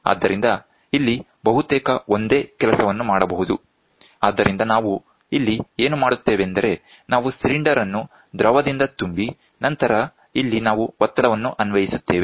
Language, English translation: Kannada, So, almost the same thing can be done here so, what we do here is, we take a cylinder fill it up with liquid and then we have pressure which is applied here